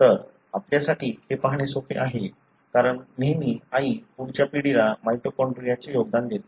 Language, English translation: Marathi, So, it is easy for us to see because always the mother contributes the mitochondria to the next generation